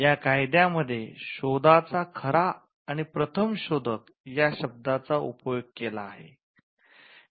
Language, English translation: Marathi, The act uses the word true and first inventor of the invention